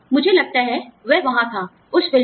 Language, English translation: Hindi, I think, that was there, in that movie